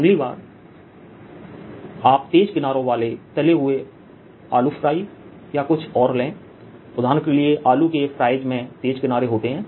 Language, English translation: Hindi, do i see that next time you take some potato fries or something else which is fried with sharp edges